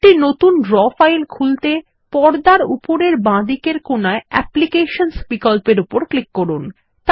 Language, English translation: Bengali, To open a new Draw file, click on the Applications option at the top left corner of the screen